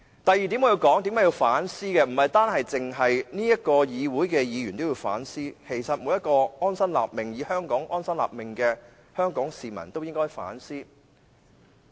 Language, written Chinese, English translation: Cantonese, 我要說的第二點是，為何不但立法會議員需要反思，在香港安心立命的每位香港市民都應該反思。, The second point I am trying to make provides food for thought for not only Members but also all members of the public who are living their life in peace in Hong Kong